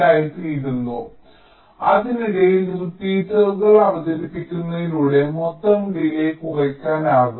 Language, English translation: Malayalam, ok, so by introducing repeaters in between, the total delay can be reduced